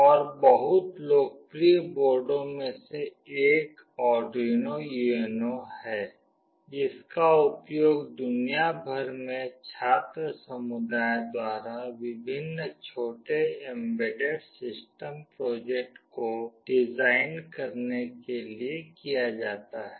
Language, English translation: Hindi, And, one of the very popular boards is Arduino UNO, which is used by the student community across the world to design various small embedded system projects